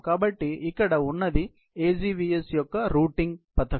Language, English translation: Telugu, So, this right here is a routing scheme of the AGVS